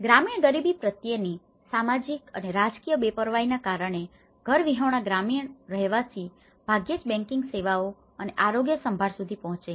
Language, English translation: Gujarati, The social and political indifference towards rural poverty and also the homelessness the rural residents rarely access to the banking services and even health care